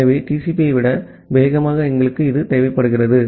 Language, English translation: Tamil, So, we require it faster than TCP